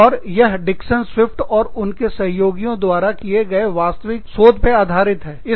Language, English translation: Hindi, And, this is based on actual research, by Dixon Swift & Associates